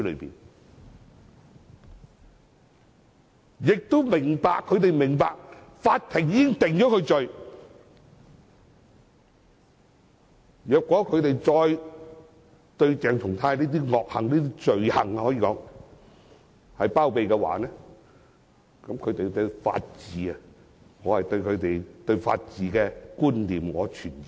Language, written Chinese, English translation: Cantonese, 我亦明白他們明白法庭已經將他定罪，如果他們再包庇鄭松泰的惡行或可說是罪行的話，我對他們對法治的觀念存疑。, I understand that they all know he has been convicted by the Court . If they still harbour CHENG Chung - tais malicious deeds which can be referred to as crime I am doubtful of their concept of the rule of law